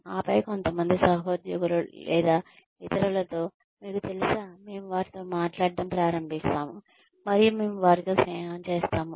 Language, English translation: Telugu, And then, we bump into, you know, some colleagues or in other, and we do start talking to them, and we end up becoming friends with them